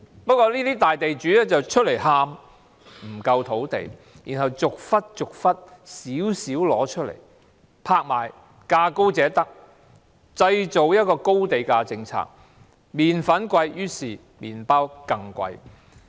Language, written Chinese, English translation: Cantonese, 不過，這個大地主卻站出來喊不夠土地，然後逐些逐些拿出少許來拍賣，價高者得，製造高地價政策，麵粉昂貴，於是麵包更昂貴。, Then it made available land bit by bit for auction on the principle of the highest bidder wins resulting in the high land price policy . When the flour is expensive it is only more so for the bread . Property developers and the Government have joined hands in this rip - off to make money together